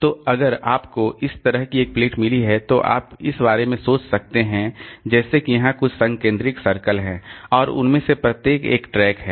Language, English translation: Hindi, So, if you have got a plate like this, then it is, you can think about as if there are some concentric circles here and each of them is a track